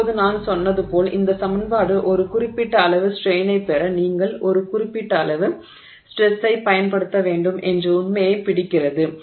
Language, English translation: Tamil, Now as I said the this equation captures the fact that you have to apply certain amount of stress to get a certain amount of strain